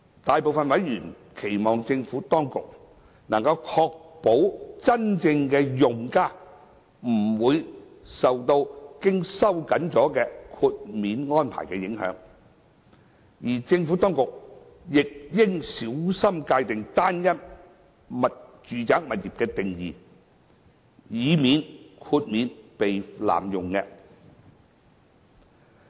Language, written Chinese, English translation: Cantonese, 大部分委員期望政府當局能夠確保真正的用家不會受到經收緊的豁免安排影響，而政府當局亦應小心界定"單一"住宅物業的定義，以免豁免被濫用。, Most members hope that the Administration will ensure that genuine users will not be affected by the tightened exemption arrangement and the definition of a single residential property should be carefully defined by the Administration to avoid possible abuse of the exemption arrangement